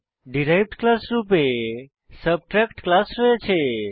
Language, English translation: Bengali, Now we have class Subtract as derived class